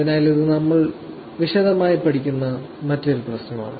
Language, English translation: Malayalam, So, this is another problem which we will actually study in detail